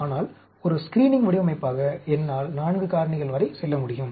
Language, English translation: Tamil, But, I can go up to 4 factors as a screening design